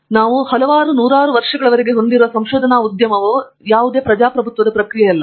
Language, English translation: Kannada, So, basically I want to say that, the research enterprise that we have been having so far several hundreds of years is not a democratic process